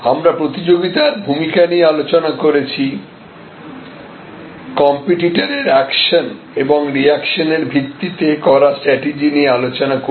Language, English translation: Bengali, We had also discussed the role of the competition, we did not discuss a competitor action and reaction driven strategy